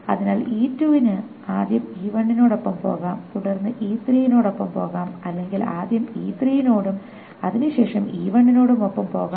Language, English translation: Malayalam, So E2 can go with E1 first and then with E3 or it can go with E3 first and then with E1